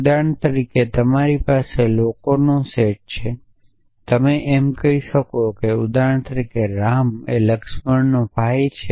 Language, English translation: Gujarati, So, for example, you might have the set might be a set of people and you might say that for example, ram is a brother of laxman